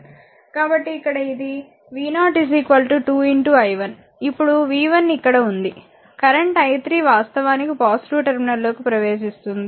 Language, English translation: Telugu, So, here it is v 0 is equal to 2 i 2 into i 1, now v 1 v 1 is here, the current your i 3 actually entering to the positive terminal